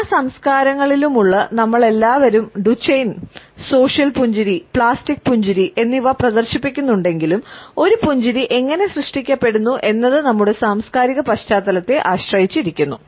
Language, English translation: Malayalam, Though all of us all human beings in all cultures exhibit both Duchenne and social smiles as well as plastic smiles, we find how a smile is generated depends on our cultural background